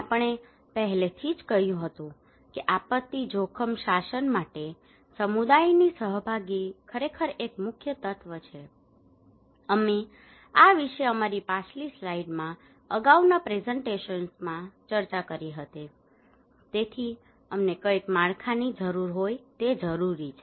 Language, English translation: Gujarati, We already told about that community participation is really a key element in disaster risk governance, we discussed about this in our previous slides previous presentations so, what we need that we need some framework